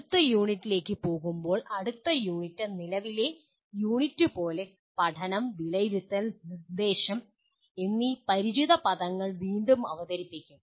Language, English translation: Malayalam, Going to the next unit, next unit will like the present unit will reintroduce the familiar words learning, assessment, and instruction